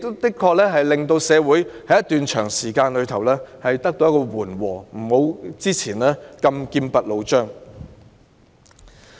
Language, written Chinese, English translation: Cantonese, 這確實令社會氣氛在一段長時間得到緩和，不如以往般劍拔弩張。, This had indeed eased up the social atmosphere for a long period which was not full of tension as in the past